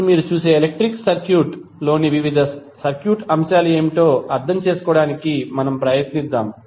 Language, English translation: Telugu, Now, let us try to understand, what are the various circuit elements in the electrical circuit you will see